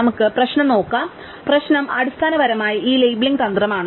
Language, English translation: Malayalam, So, let us look at the problem, the problem is basically this labeling strategy